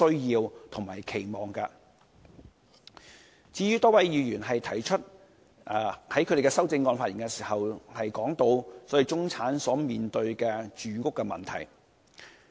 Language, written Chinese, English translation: Cantonese, 有多位議員提出了修正案，並在發言時談到中產所面對的住屋問題。, A number of Members have raised amendments and spoken on the housing problem faced by the middle class in their speeches